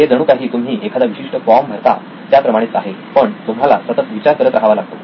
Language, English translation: Marathi, It’s almost like a form filled out but you need to keep doing the thinking